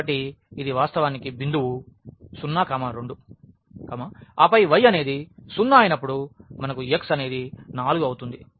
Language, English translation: Telugu, So, this is actually the point 2 0 and then we have when y is 0 the x is 4 so, this is the point 4 and 0